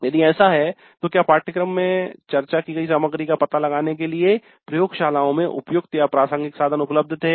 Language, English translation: Hindi, If that is the scenario, whether relevant tools were available in the laboratories to explore the material discussed in the course